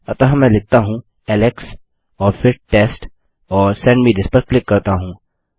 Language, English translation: Hindi, So if I say Alex and then Test and click on Send me this